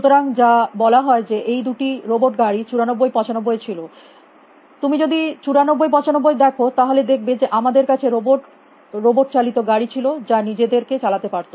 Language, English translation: Bengali, So, what tells is, so way these to robot cars in 94, 95, if you look at 94, 95 we have descriptions of robot, robotic cars which can navigate themselves